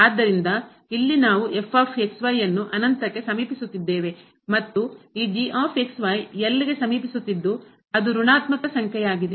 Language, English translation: Kannada, So, here we have as approaching to infinity and this approaching to which is a negative number